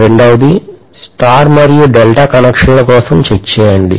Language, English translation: Telugu, The second one is for star as well as delta connections